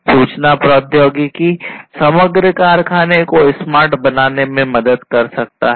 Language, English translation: Hindi, Information technology can help in making the overall factory smart